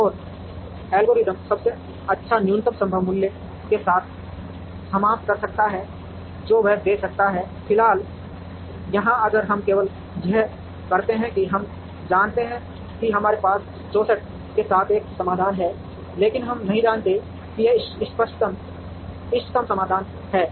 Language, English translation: Hindi, And the algorithm can terminate with the best minimum possible value that it can give, at the moment here if we are done only this we know that we have a solution with 64, but we do not know that it is the optimum solution